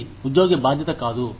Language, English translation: Telugu, It is not the employee